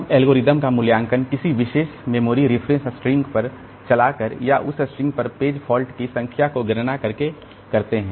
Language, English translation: Hindi, We evaluate the algorithm by running it on a particular string of memory references and computing the number of page faults on that string